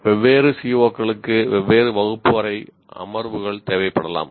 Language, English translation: Tamil, And different COs may require different number of classroom sessions